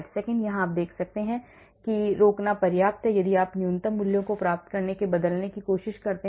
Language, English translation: Hindi, how do you know it is enough to stop, if you keep trying to change until we get the minimum values